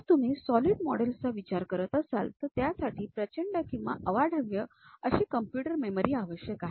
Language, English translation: Marathi, If you are going with solid models, it requires enormous or gigantic computer memory